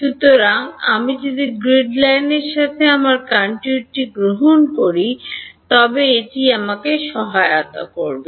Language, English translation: Bengali, So, if I take my contour to be along the grid lines will it help me